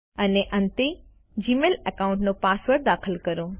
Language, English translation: Gujarati, And, finally, enter the password of the Gmail account